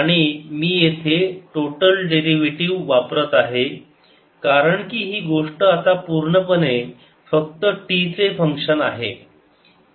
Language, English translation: Marathi, and i am using a total derivative here because this thing is not the function of t only now we have to calculate